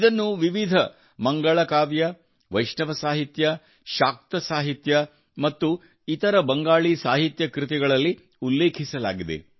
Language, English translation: Kannada, It finds mention in various Mangalakavya, Vaishnava literature, Shakta literature and other Bangla literary works